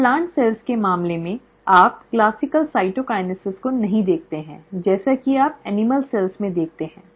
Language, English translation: Hindi, So in case of plant cells, you do not see the classical cytokinesis as you see in animal cells